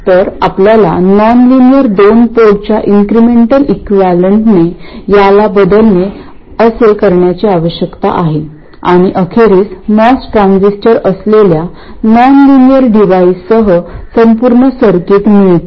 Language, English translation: Marathi, So, what we need to do is to replace this with the incremental equivalent of the nonlinear 2 port and eventually come up with the complete circuit including the nonlinear device which is the MOS transistor